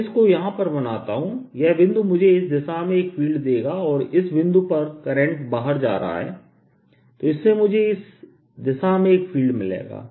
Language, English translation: Hindi, let me make it here: this point will give me a field in this direction and this point, the current is coming out